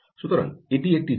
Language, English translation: Bengali, so that is also possible